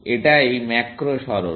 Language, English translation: Bengali, That is the macro move